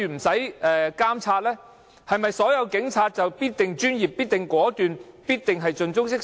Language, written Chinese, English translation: Cantonese, 是否所有警察都必然專業、果斷、盡忠職守？, Does it mean that all police officers are professional resolute and dedicated to their duty?